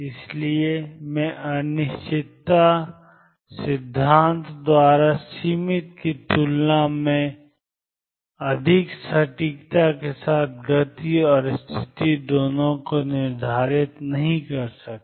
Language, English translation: Hindi, So, I cannot determine both momentum and the position with a greater accuracy than limited by uncertainty principle